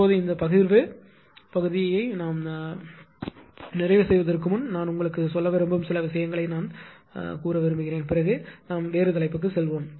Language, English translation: Tamil, Now before this this closing this distributional part few things I would like to I would like to tell you then we will move to the different topic